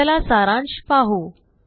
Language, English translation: Marathi, Let us summarise